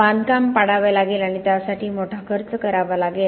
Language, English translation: Marathi, Having to demolish the construction and that would have cost huge amount of money